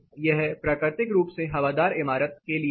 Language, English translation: Hindi, This is for a naturally ventilated building